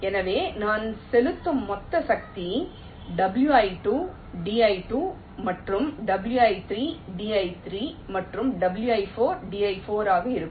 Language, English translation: Tamil, so the total force exerted on i will be w i two, d i two plus w i three, d i three and w i four, d i four